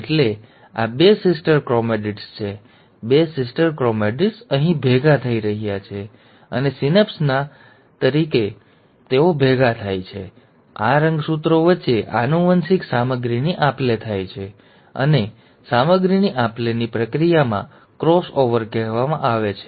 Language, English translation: Gujarati, So this is two sister chromatids, there are two sister chromatids, they are coming together, and when they come together at the stage of synapse, there is an exchange of genetic material between these chromosomes, and this process of exchange of material is what is called as the cross over